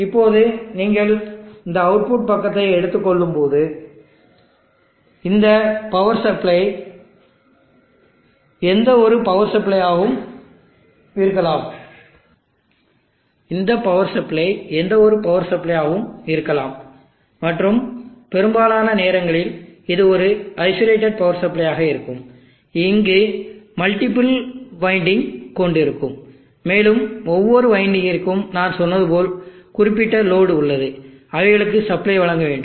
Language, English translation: Tamil, Now when you take on this output side this power supply can be any type of power supply and most of the time this will be an isolated power supply which will have multiple windings here and each other winding has I said specific load that they need to supply for example the 3